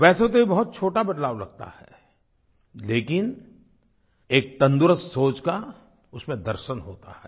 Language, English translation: Hindi, It appears to be a minor change but it reflects a vision of a healthy thought